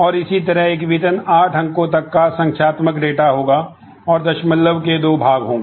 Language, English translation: Hindi, And similarly, salary will be a numeric data with up going up to 8 figures, and having a decimal part having two parts